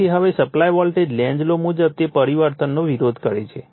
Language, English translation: Gujarati, Now, therefore, the supply voltage from the Lenz’s laws it opposes the change right